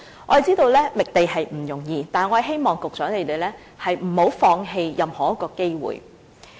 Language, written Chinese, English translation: Cantonese, 我們知道覓地並不容易，但希望局長不要放棄任何一個機會。, We know that the identification of sites is not easy but hope that the Secretary will not let any opportunity pass by